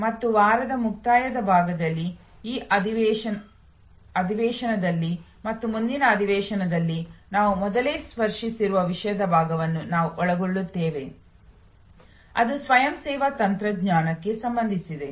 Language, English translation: Kannada, In the concluding part of this week, in this session and in the next session we will be covering part of the subject which we have already touched upon earlier, which relates to self service technology